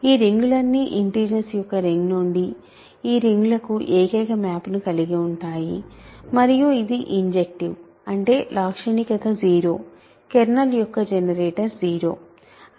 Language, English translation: Telugu, So, characteristic of C all this rings have the unique map from the ring of integers to these rings is injective; that means, characteristic is 0; the generator of the kernel is 0